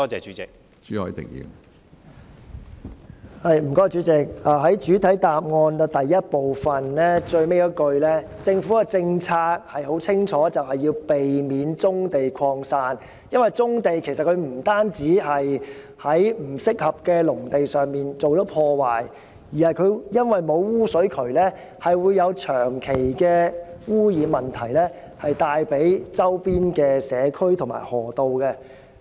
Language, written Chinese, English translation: Cantonese, 從主體答覆第一部分的最後一句，可發現政府的政策很清楚，就是要避免棕地擴散，因為棕地作業不單是在不適合的農地上進行破壞，加上沒有污水渠，導致對周邊社區和河道造成長期的污染問題。, It can be noted from the last sentence of part 1 of the main reply that the Governments policy is clearly to avoid the scattered distribution of brownfield sites . This is because brownfield operations have caused damage to agricultural land which is actually not suitable for accommodating such economic activities . Moreover due to the absence of sewerage systems such operations have also brought about long - term pollution problems to communities and rivers in the vicinity